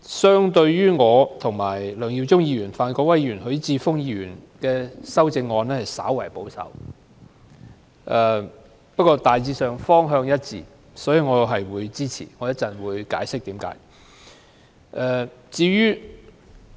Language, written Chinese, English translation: Cantonese, 相對於我、梁耀忠議員、范國威議員和許智峯議員提出的修正案，黃碧雲議員的修正案較為保守，但方向大致一致，所以我會予以支持，稍後我會解釋原因。, Comparatively speaking Dr Helena WONGs amendment is a bit more conservative than my amendments as well as that of Mr LEUNG Yiu - chung Mr Gary FAN and Mr HUI Chi - fung . However as the overall direction of all our amendments is the same I will throw my support and explain the reasons in a while